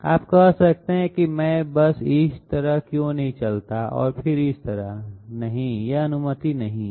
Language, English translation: Hindi, You might say, why do not I simply move this way and then this way, no this is not allowed